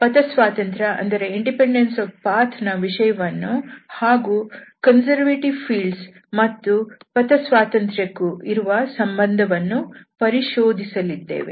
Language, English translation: Kannada, So, we will also discuss this independence of path and the connection between these conservative fields and independence of path will be explored in this lecture